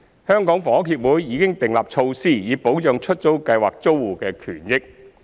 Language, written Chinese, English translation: Cantonese, 香港房屋協會已訂立措施以保障出租計劃租戶的權益。, HKHS has put in place measures that can protect the interest of tenants under the Letting Scheme